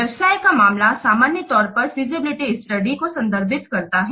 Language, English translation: Hindi, Business case normally it refers to feasible study